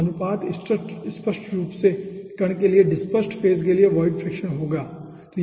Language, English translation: Hindi, so the ratio obviously will be the valid fraction for the dispersed phase for the particle